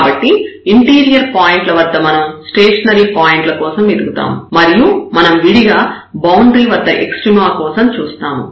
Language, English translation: Telugu, So, at interior points we will search for the stationary point and separately we will handle or we will look for the extrema at the boundary